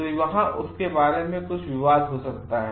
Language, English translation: Hindi, So, there this could be some controversies regarding it